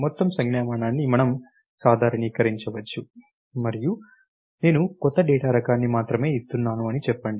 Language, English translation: Telugu, see what we can generalize is the whole notation and say I am only give new data type